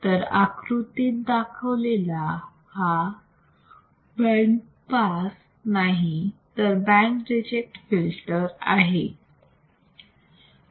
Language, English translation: Marathi, So, it is are may not band pass, but band reject filter as shown in this figure